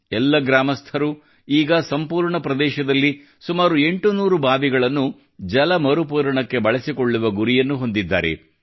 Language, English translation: Kannada, Now all the villagers have set a target of using about 800 wells in the entire area for recharging